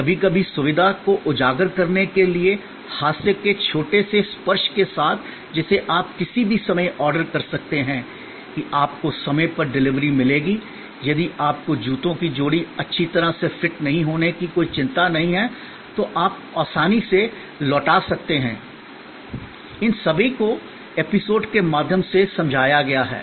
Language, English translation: Hindi, Sometimes with the little bit touch of humor to highlight the convenience that you can order any time; that you will get timely delivery; that you need not have any worry if the pair of shoes does not offer good fit, you can return easily, all these are explained through episodes